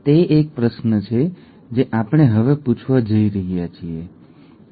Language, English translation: Gujarati, That is a question that we are going to ask now, okay